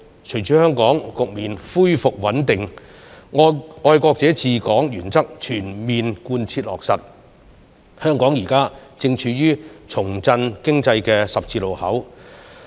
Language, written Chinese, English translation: Cantonese, 隨着香港局面恢復穩定，"愛國者治港"原則全面貫徹落實，香港現時正處於重振經濟的十字路口。, With Hong Kong returning to stability and the full implementation of the principle of patriots administering Hong Kong Hong Kong is now standing at a crossroad to revive the economy